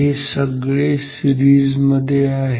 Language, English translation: Marathi, So, they are in series